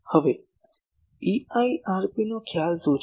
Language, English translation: Gujarati, Now, what is the concept of EIRP